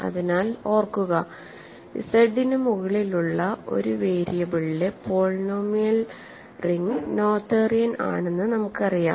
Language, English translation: Malayalam, So, recall that, we know that the polynomial ring in one variable over Z is noetherian